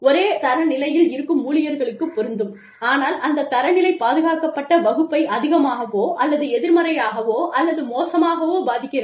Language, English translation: Tamil, When the same standard, is applied to all employees, but that standard, affects the protected class, more or negatively or adversely